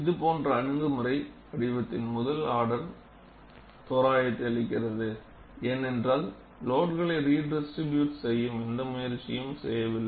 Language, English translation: Tamil, An approach like this, gives the first order approximation of the shape, because we do not make any attempt to redistribute the load